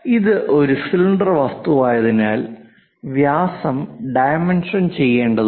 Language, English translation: Malayalam, It is a cylindrical object, usually the diameters matters a lot